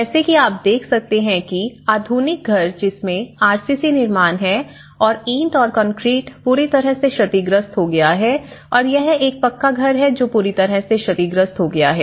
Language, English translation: Hindi, Like in this what you can see is the modern house which has RCC construction and which is a brick and concrete construction has completely damaged and this is a pucca house and which has completely damaged